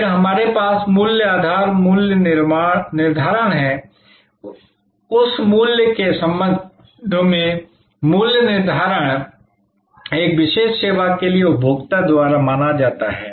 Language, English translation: Hindi, Then, we have value base pricing; that is pricing with respect to the value perceived by the consumer for that particular service